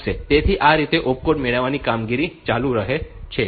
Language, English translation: Gujarati, So, this way this opcode fetch operation goes on